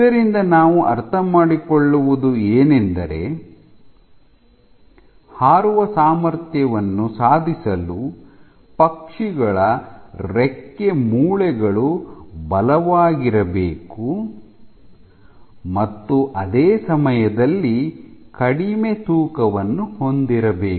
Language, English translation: Kannada, So, what the bird is trying to achieve is that the wing bones must be strong and at the same time light weight ok